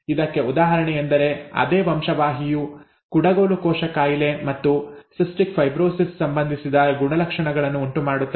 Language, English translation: Kannada, An example is from this the same gene causes symptoms associated with sickle cell disease as well as cystic fibrosis, okay